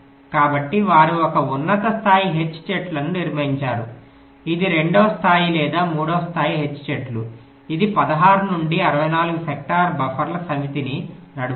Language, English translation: Telugu, the drive its a two level or three level h tree that will drive a set of sixteen to sixty four sector buffers